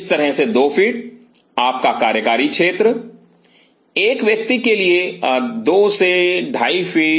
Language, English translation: Hindi, So, 2 feet like this your working area single individual 2 to 2 and half feet the